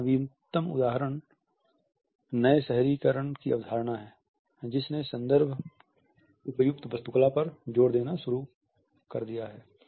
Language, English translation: Hindi, The latest example of it is the concept of new urbanism which has started to emphasis the context appropriate architecture